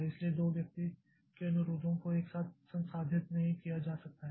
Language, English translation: Hindi, So, 2% request cannot be processed simultaneously